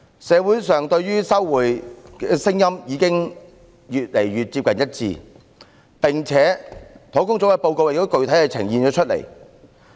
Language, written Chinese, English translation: Cantonese, 社會上對於收回高爾夫球場的聲音已經漸趨一致，專責小組的報告亦已具體呈現出來。, Opinions in society on resumption of the golf course have gradually become unanimous . Such has been specifically conveyed in the report of the Task Force